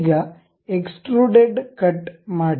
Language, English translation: Kannada, Now, have a extruded cut